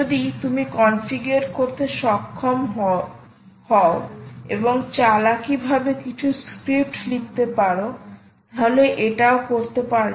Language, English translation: Bengali, ok, if you are able to configure and cleverly write some scripts, why not